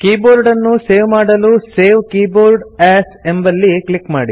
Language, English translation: Kannada, To save the keyboard, click Save Keyboard As